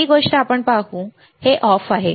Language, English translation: Marathi, The first thing, let us see, this is off